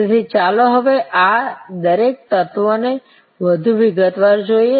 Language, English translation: Gujarati, So, let us now see each one of these elements more in detail